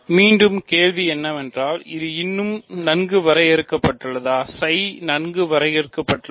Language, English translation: Tamil, So, again the question is, is it even well defined, is psi well defined